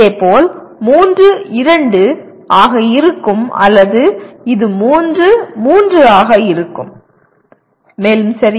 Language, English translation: Tamil, Similarly, this will be 3, 2 or this will be 3, 3 and so on okay